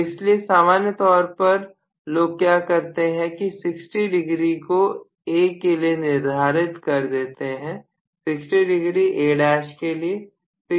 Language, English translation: Hindi, So what people normally do is to allocate about 60 degrees for A, 60 degrees for A dash